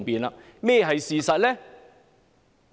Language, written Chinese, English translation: Cantonese, 甚麼是事實呢？, What is the reality?